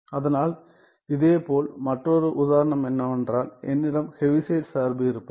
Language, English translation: Tamil, So, similarly another example is if I have the Heaviside function